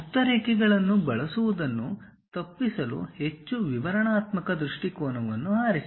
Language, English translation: Kannada, To avoid using hidden lines, choose the most descriptive viewpoint